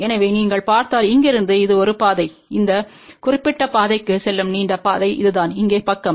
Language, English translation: Tamil, So, if you look from here this is the one path, and this is the longer path over here going to this particular side here